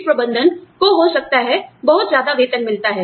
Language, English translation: Hindi, Top management may be paid, too much